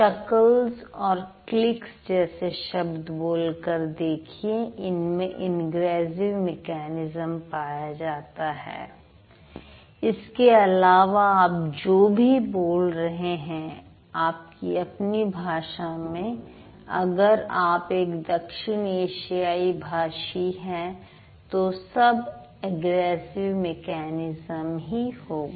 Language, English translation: Hindi, So, this chuckles and clicks are going to be or are a part of ingressive mechanism and anything else that you are speaking in your language if you are a South Asian language speaker, that's going to be your egressive mechanism